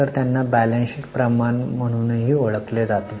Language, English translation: Marathi, So they are also known as balance sheet ratios